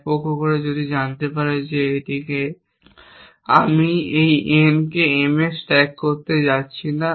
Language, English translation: Bengali, One side does that they can know that I am not going to stack this n on to M